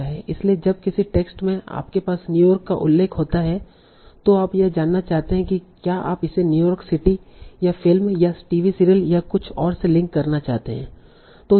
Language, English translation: Hindi, So when in a text you have a mention of New York, you want to know whether you want to link it to the New York City or the film or TV series or something else